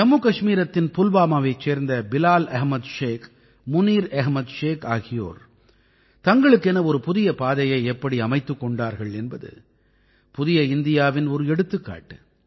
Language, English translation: Tamil, The way Bilal Ahmed Sheikh and Munir Ahmed Sheikh found new avenues for themselves in Pulwama, Jammu and Kashmir, they are an example of New India